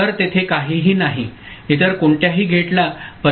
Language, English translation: Marathi, So, there is no, nothing, no other gate is getting affected